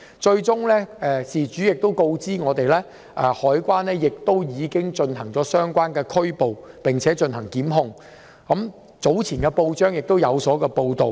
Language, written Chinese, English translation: Cantonese, 後來事主亦告訴我，海關已作出相關拘捕和檢控，早前報章亦有報道。, The victim informed me later that CED had made arrests and prosecutions . It was also reported in the newspapers earlier